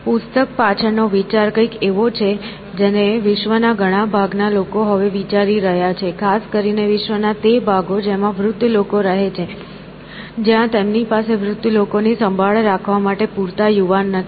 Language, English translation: Gujarati, And, the idea behind the book is something which many parts of the world now looking at; specially those parts of the world which have aging populations where they do not have enough young to take care of the old